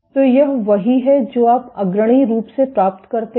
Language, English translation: Hindi, So, this is what you do leadingly get